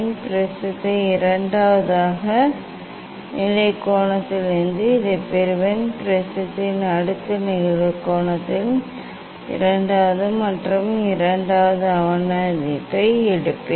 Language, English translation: Tamil, I will get this for second position of the prism mean for second for next incident angle of the prism ok, I will take second observation